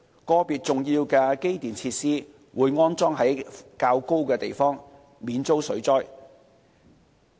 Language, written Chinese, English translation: Cantonese, 個別重要的機電設施會安裝在較高的地方，免遭水浸。, Individual important electrical and mechanical facilities are installed slightly elevated to avoid being flooded